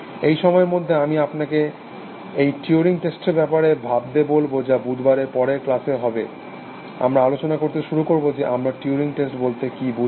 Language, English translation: Bengali, Meanwhile I would like you to think about this turing test, in the next class on Wednesday, we will start discussing, what we think about the turing test essentially